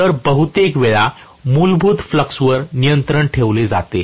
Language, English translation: Marathi, So, most of the times what is done is to control basically the flux